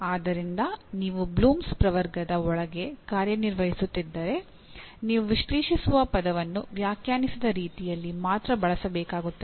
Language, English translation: Kannada, So if you are operating within Bloom’s taxonomy you have to use the word analyze only in the way it is defined